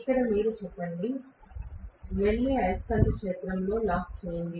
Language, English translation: Telugu, And then we say here you go, go and lock with the revolving magnetic field